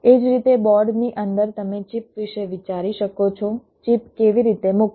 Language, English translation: Gujarati, similarly, within a board you can think of the chips, how to place the chips